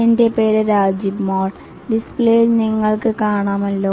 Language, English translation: Malayalam, My name is Rajiv Mal as you can see on the display